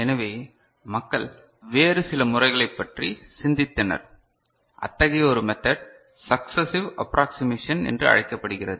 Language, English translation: Tamil, So, people thought about some other method; one such method is called successive approximation right